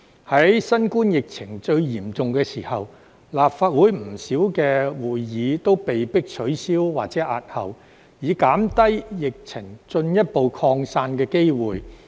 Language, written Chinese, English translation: Cantonese, 在新冠疫情最嚴重的時候，立法會不少會議都被迫取消或押後，以減低疫情進一步擴散的機會。, At the height of the COVID - 19 epidemic many meetings of the Legislative Council had to be cancelled or postponed in order to reduce the chance of further spread of the epidemic